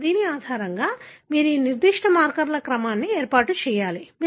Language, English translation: Telugu, Now, based on this you have to arrange the order of this particular set of markers